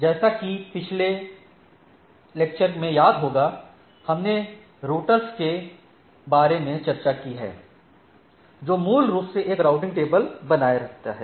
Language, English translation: Hindi, So, as you remember in the last lecture we discussed about the routers basically maintains a routing table